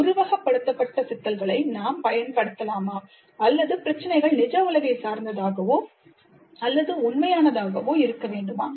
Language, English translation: Tamil, Can we use simulated problems or the problems must be the real ones